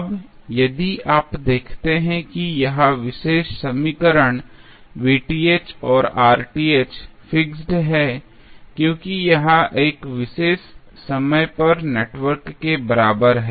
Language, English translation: Hindi, Now, if you see this particular equation Pth and Rth is fixed because this is network equivalent at 1 particular point of time